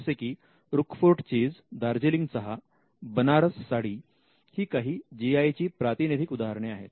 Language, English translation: Marathi, For instance, Roquefort cheese, Darjeeling tea, Banaras saree are different examples of the GI